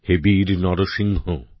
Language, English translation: Bengali, O brave Narasimha